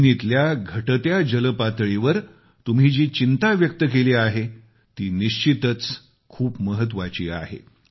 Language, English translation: Marathi, The concerns you have raised on the depleting ground water levels is indeed of great importance